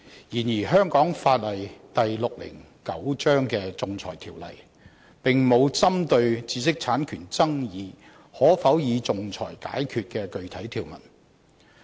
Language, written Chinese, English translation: Cantonese, 然而，香港法例第609章的《仲裁條例》，並無針對知識產權爭議可否以仲裁解決的具體條文。, However the Arbitration Ordinance Cap . 609 AO does not have any specific provision dealing with the question of arbitrability of disputes over intellectual property right IPR